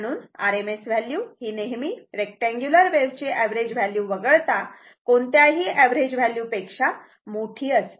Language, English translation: Marathi, So, rms value is always greater than average except for a rectangular wave form right particularly square wave